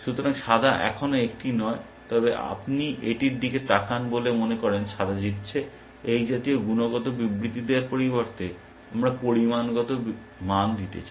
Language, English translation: Bengali, So, white is not yet one, but you look at it in say it looks like white is winning, instead of making such qualitative statements, we want to give quantitative values